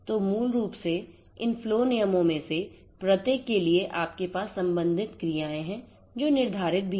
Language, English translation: Hindi, So, basically you have for each of these flow rules you have the corresponding actions that are also specified